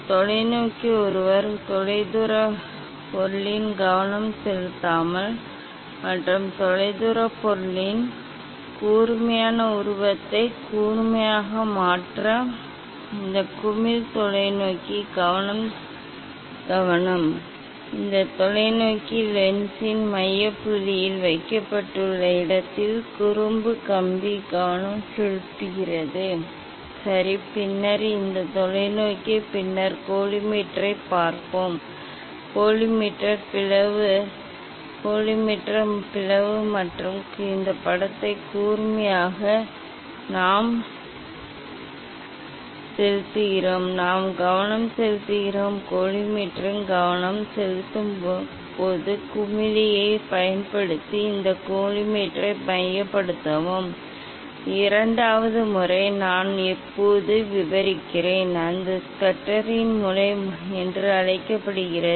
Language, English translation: Tamil, telescope one can focus at a distant object and rotate this knob telescope focus knob to make this distant object sharp image of the distant object sharp, And then cross wire is focused at the is placed at the focal point of this telescope lens, ok, then this telescope then we will see the collimator we see the collimator slit, collimator slit and to make this image sharp we just focus, we just focus this collimator using the focusing knob of the collimator, this is one way to get the parallel rays, And second method I will describe now that is called Schuster s method